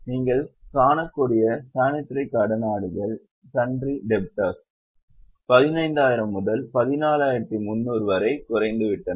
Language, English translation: Tamil, Sunridators, you can see, has gone down from 15,000 to 14,300